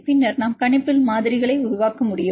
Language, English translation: Tamil, And then we can develop models on prediction